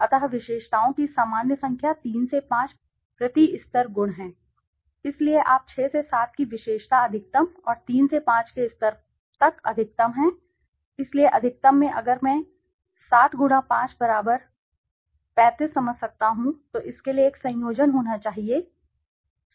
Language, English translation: Hindi, So the usual number of attributes is 3 to 5 per level level per attributes, so you at 6 to 7 attribute maximum and 3 to 5 levels maximum, so in a maximum if I can understand 7*5=35 there should be a combination for only one case